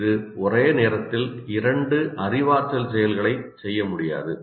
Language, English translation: Tamil, It cannot perform two cognitive activities at the same time